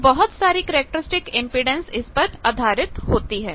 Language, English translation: Hindi, So, based on that there are various characteristic impedance